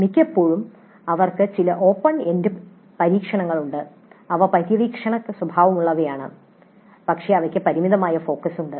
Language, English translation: Malayalam, Often they have certain open ended experimentation and they are exploratory in nature but they do have certain limited focus